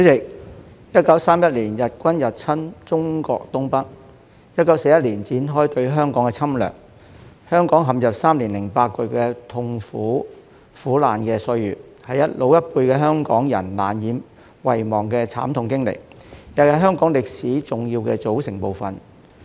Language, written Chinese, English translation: Cantonese, 主席 ，1931 年日軍入侵中國東北 ，1941 年展開對香港的侵略，香港陷入3年8個月的痛苦、苦難的歲月，是老一輩的香港人難以遺忘的慘痛經歷，亦是香港歷史的重要組成部分。, President the Japanese army invaded northeast China in 1931 and launched aggression against Hong Kong in 1941 plunging Hong Kong into three years and eight months of agony and misery a painful experience that the older generation of Hong Kong people can hardly forget and an important part of Hong Kongs history